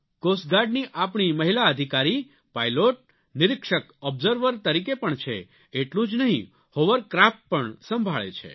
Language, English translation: Gujarati, Our Coast Guard women officers are pilots, work as Observers, and not just that, they command Hovercrafts as well